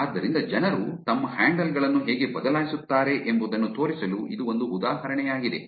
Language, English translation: Kannada, So, this is just an example to show you how people change their handings